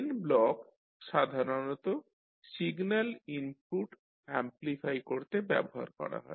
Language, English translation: Bengali, So Gain Block is basically used to amplify the signal input